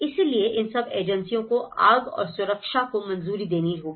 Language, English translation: Hindi, So, all these agencies has to approve, fire and safety right